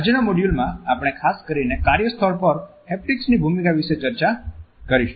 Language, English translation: Gujarati, In today’s module we would discuss the role of Haptics particularly at the workplace